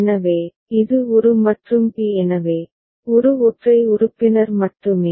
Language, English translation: Tamil, So a, it is a and b so, a is only single member